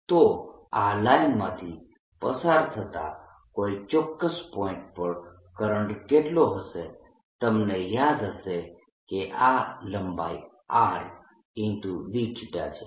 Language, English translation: Gujarati, therefore, if i were to ask how much is the current at a certain point passing through this line, then you recall that this length is going to be r d theta